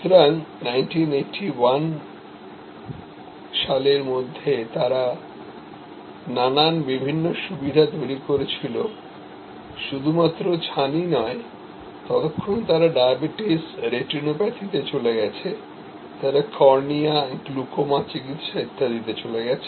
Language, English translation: Bengali, So, by 1981 they had created number of different not only cataract, but by that time, they had gone into diabetic, retinopathy, they had gone into cornea, glaucoma treatment and so on